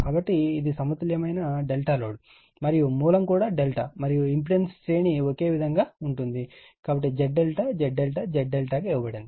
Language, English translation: Telugu, So, this is your balanced delta load is delta and source is also delta and series of impedance remains same right So, Z delta Z delta is given right